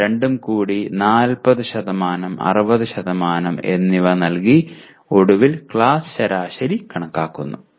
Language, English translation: Malayalam, I combine 40% and 60% for both and then I compute the finally class average